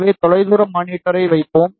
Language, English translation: Tamil, So, we will put far field monitor